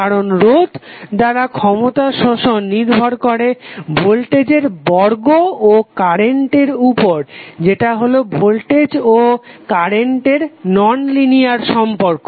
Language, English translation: Bengali, Because power absorb by resistant depend on square of the voltage and current which is nonlinear relationship between voltage and current